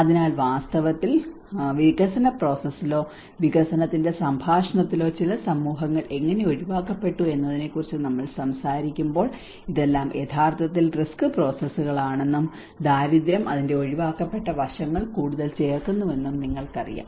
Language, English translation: Malayalam, So in fact, when we talk about how certain societies have been excluded in the development process or in the dialogue of the development you know these all things are actually the risk processes and poverty adds much more of the excluded aspect of it, and they also talks about the access to these assets and the resources